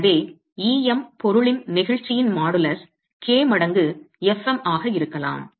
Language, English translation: Tamil, M, the modulus of the material could be k times fM